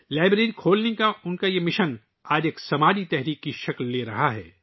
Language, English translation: Urdu, His mission to open a library is taking the form of a social movement today